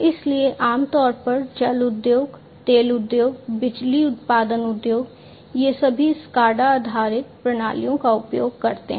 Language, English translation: Hindi, So, typically you know water industries, oil industries, power generation industries etc, they all use SCADA based systems